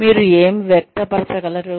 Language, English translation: Telugu, What you are able to express